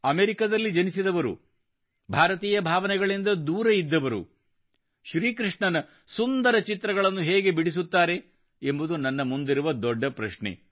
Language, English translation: Kannada, The question before me was that one who was born in America, who had been so far away from the Indian ethos; how could she make such attractive pictures of Bhagwan Shir Krishna